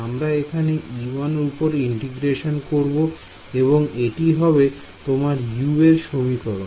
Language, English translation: Bengali, We are integrating over e 1 this is your expression for u U and U 1